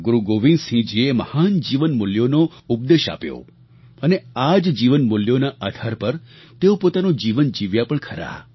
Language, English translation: Gujarati, Guru Gobind Singh ji preached the virtues of sublime human values and at the same time, practiced them in his own life in letter & spirit